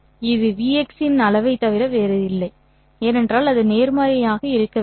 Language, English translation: Tamil, Well, it is nothing but magnitude of VX because it has to be positive